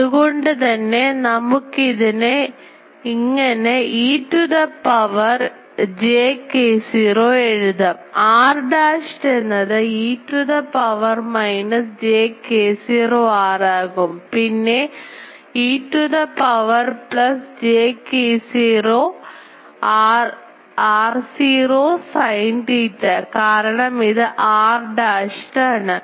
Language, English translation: Malayalam, So, by that we can write e to the power j k naught; r dashed that will be to the power minus j k naught r; then e to the power plus j k naught r naught sin theta because this is the r dashed is this